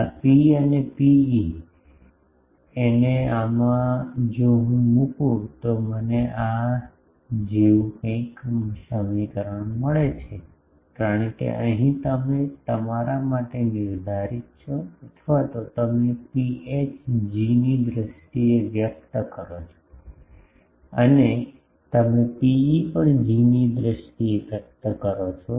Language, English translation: Gujarati, This rho this rho e o h and in this if I put I get an equation like this, because here you that is up to you find out either for rho e or rho h you rho h you express in terms of G, and rho e also you express in terms of G